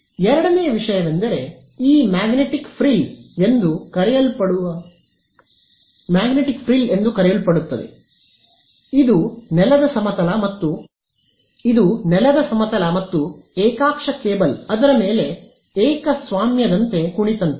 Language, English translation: Kannada, The second thing is what is called this magnetic frill which it is like a ground plane and a coaxial cable sitting on top of it like a monopole